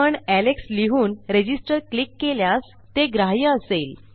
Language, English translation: Marathi, But if we take say alex and we click Register, its taken into account